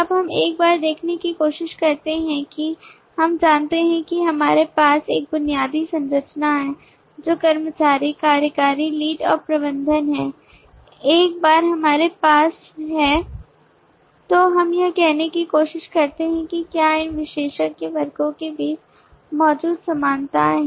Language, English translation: Hindi, now we try to look at once we know that we have a basic structure which is employee, executive, lead, and manager once we have that then we try to see are there commonalities that exist between these specialize classes